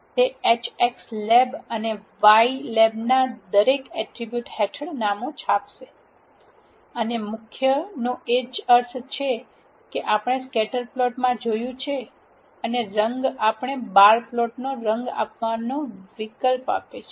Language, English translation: Gujarati, it will print the names under the each attribute in the H x lab and y lab, and main has a same meanings as what we have seen for the scatterplot, and colour gives us an option to give colour to the bar plot